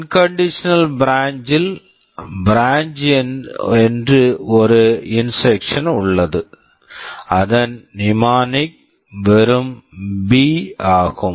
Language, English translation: Tamil, In unconditional branch, we have an instruction called branch whose mnemonic is just B